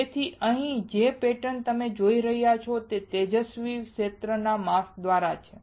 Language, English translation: Gujarati, So, the pattern here that you are looking at is by a bright field mask